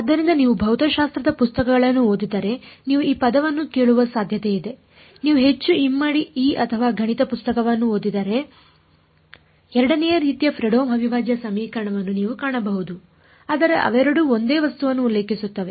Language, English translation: Kannada, So, if you read a physics books you physics book you are likely to hear this word for it if you read a more double E or math book you will find Fredholm integral equation of second kind, but they both refer to the same object ok